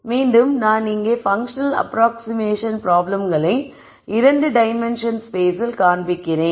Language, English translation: Tamil, Again, I am showing function approximation problems in 2 dimensional space here